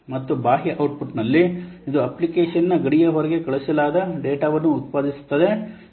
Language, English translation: Kannada, And in external output, it generates data that is sent outside the application boundary